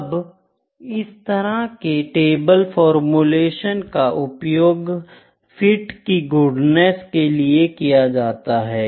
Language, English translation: Hindi, Now, this kind of tabular form formulation is used for goodness of fit, ok